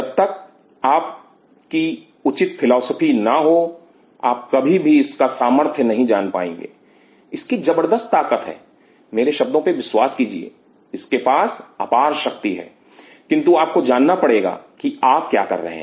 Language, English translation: Hindi, Unless your philosophy is it properly you will never be able to know the power of this in its tremendous power trust my words it has tremendous power, but one has to know what you are doing